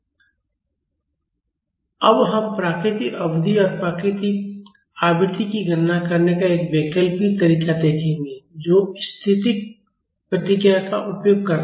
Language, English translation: Hindi, Now we will see an alternate method of calculating natural period and natural frequency that is using static response